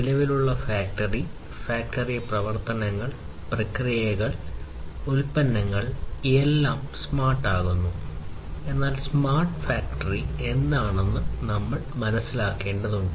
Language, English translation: Malayalam, So, existing factory, factory operation, their operations, processes, products everything being made smarter, but then we need to understand that what smart factory is all about